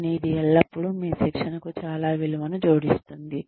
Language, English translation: Telugu, But, it always adds a lot of value, to your training